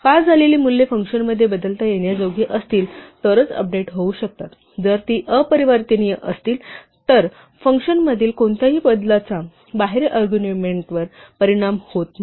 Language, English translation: Marathi, So, the values that are passed can get updated in a function only if they are mutable, if they are immutable any change within a function does not affect the argument outside